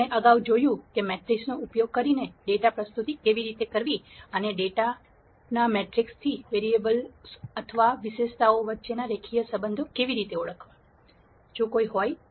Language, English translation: Gujarati, The concepts that we covered previously are data presentation using matrices and from matrix of data, we saw how to identify linear relationships if any, among the variables or attributes